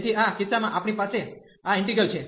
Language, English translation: Gujarati, So, in this case we have this integral